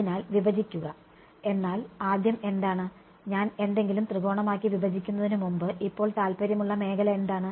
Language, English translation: Malayalam, So, break, but first of all what is, before I break something into triangle, what is the domain of interest now